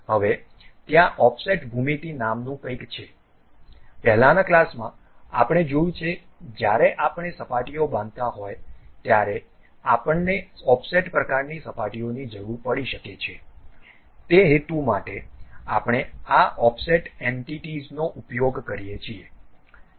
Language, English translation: Gujarati, Now, there is something named Offset geometries; in the earlier classes we have seen when surfaces we are constructing we may require offset kind of surfaces also, for that purpose we use this Offset Entities